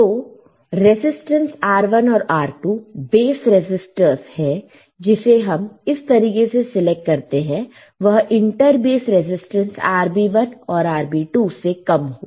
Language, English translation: Hindi, So, resistance R 1 and R 2 are bias resistors which are selected such that they are lower than the inter base resistance RB 1 and RB 2, right